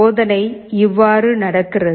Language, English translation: Tamil, The experiment goes like this